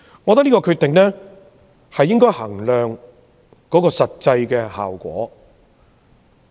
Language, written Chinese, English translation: Cantonese, 我覺得應該衡量這項決定的實際效果。, I think we need to examine the actual effects of this decision